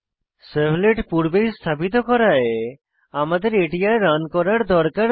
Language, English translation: Bengali, Since we deployed this servlet earlier, we need not run it again